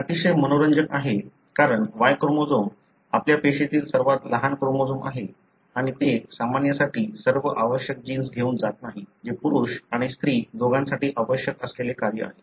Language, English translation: Marathi, It is very, very interesting because the Y chromosome is the smallest chromosome in your cell and it doesn’t carry all the essential genes for a normal which is the function that are required for both male and female